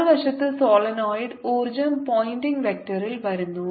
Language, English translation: Malayalam, on the other hand, in the solenoid, energy is coming in, the pointing vector comes in